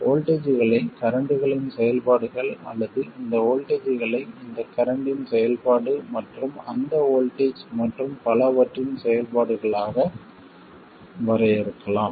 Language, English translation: Tamil, We could define the voltages as functions of currents or this voltage as a function of this current and that voltage and so on